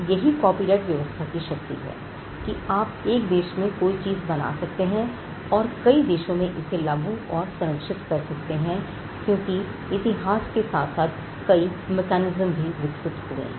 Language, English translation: Hindi, Now, that is the power of the copyright regime you can have a right created in one country and enforced and protected in multiple countries because of certain mechanisms that evolved in the course of history